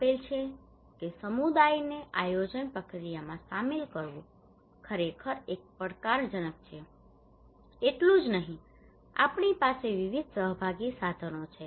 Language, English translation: Gujarati, Given that it is a really challenging to incorporate community into the planning process, not only that, we have different participatory tools